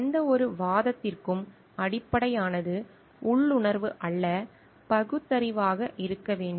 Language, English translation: Tamil, The basis for any argument should be reasoning and not intuition